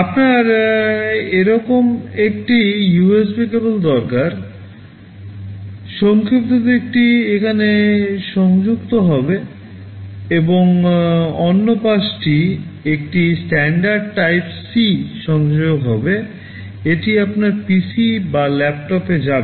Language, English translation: Bengali, You need a USB cable like this, the shorter side will be connected here and the other side will be a standard type C connector, this will go into your PC or laptop